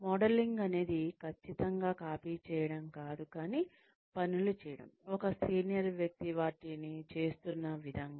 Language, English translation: Telugu, Modelling is not exactly copying, but doing things, as a senior person, who has been doing them, does